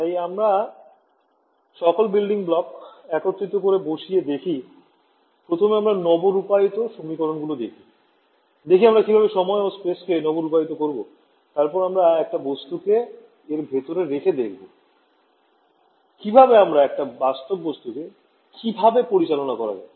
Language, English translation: Bengali, So, we are putting together all the building blocks, first we look at update equations space and time how do we update, then we put a material inside how do we handle a realistic material